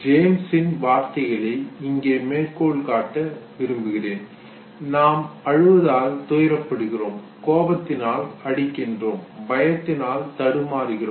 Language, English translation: Tamil, James I am quoting him, he said we feel sorry because we cry, angry because we strike, afraid because we tremble